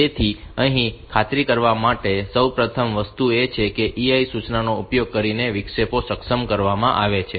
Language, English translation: Gujarati, So, the first thing to ensure is that the interrupts are enabled using the EI instruction